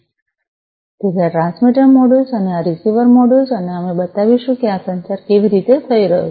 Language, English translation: Gujarati, So, this is the transmitter module and this is the receiver module and we will show that how this communication is taking place